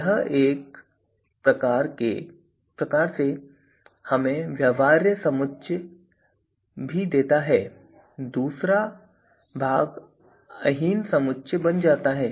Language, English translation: Hindi, So, this in a way also gives us the feasible set here and the other part become the non inferior set, right